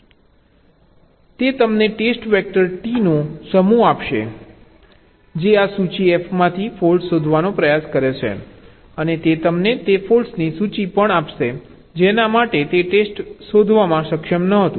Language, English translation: Gujarati, what this tool will give you as output: it will give you a set of test vectors, t that tries to detect faults from this list f, and also it will give you ah list of the faults for which it was not able to find ah test